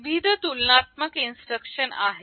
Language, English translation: Marathi, There are a variety of compare instructions